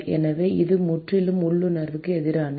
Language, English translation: Tamil, So, it is completely counter intuitive